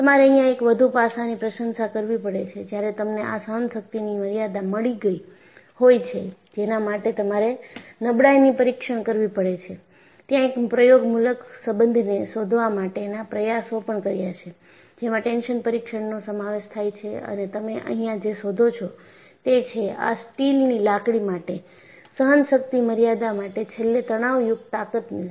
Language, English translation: Gujarati, And you will also have to appreciate one more aspect, when you have got this endurance limit, for which you have to perform a fatigue test, there are also attempts to find out an empirical relation, involving the result of a tension test; and what you find here is, the endurance limit is given for this rod steel as 0